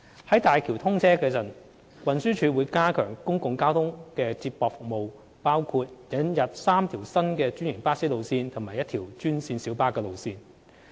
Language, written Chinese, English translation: Cantonese, 在大橋通車時，運輸署會加強公共交通接駁服務，包括引入3條新的專營巴士路線及1條專線小巴路線。, Upon the commissioning of HZMB the Transport Department TD will strengthen public transport feeder service by introducing three new franchised bus routes and one green minibus route